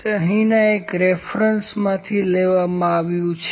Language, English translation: Gujarati, That is picked from one of the references here